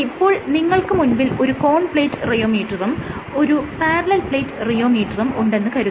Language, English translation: Malayalam, So, you can have a cone and plate rheometer, but a conical play as well as a parallel plate rheometer